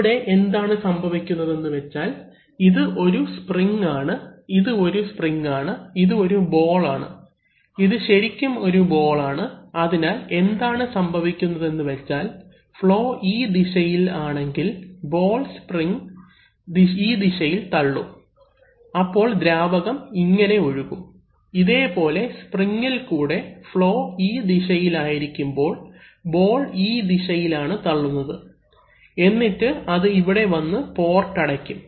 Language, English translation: Malayalam, So here what is happening is that, this is a spring, this is a spring and this is a ball, this is actually a ball, solid ball may be balls, so what is happening is that, if you if the flow is in this direction then the ball will be pushed along the spring and it will be the water, the fluid will flow through this, like this through the spring but when it will be, when the flow will be in this direction then the ball will be pushed in this direction and it will come and settle and close this port, this port, so fluid cannot flow from this direction to this way, while it can flow freely through this